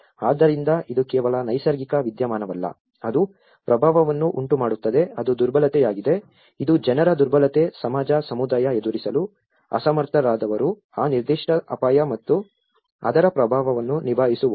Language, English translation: Kannada, So, it is not just a natural phenomenon which is making an impact it is the vulnerability, which is the people’s vulnerability, the society, the community, who are unable to face, that who cope up with that particular hazard and its impact